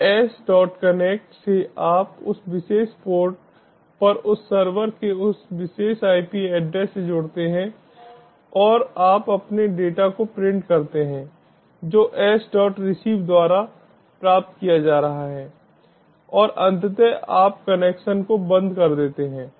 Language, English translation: Hindi, so s dot connect, you connect to that particular ip address of that server on that particular port and you print that your data is being received, s dot receive and eventually you close the connection